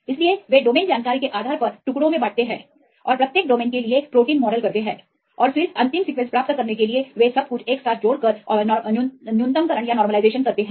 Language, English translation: Hindi, So, they cut into pieces based on the domain information and model the proteins for each domains and then they combine everything together and do the minimization to get the final structure